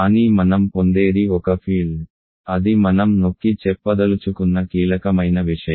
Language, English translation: Telugu, But what we obtain is a field; that is a crucial point that I want to emphasize